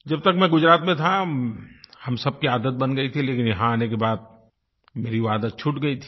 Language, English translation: Hindi, Till the time I was in Gujarat, this habit had been ingrained in us, but after coming here, I had lost that habit